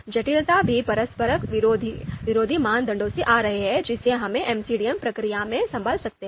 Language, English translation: Hindi, Complexity as we talked about also is coming from the conflicting criterias that we you know might be handling in the MCDM process